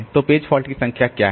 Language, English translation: Hindi, So, what is the number of page fault